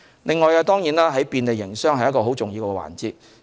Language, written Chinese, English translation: Cantonese, 此外，便利營商也是重要的環節。, Moreover trade facilitation is also an important area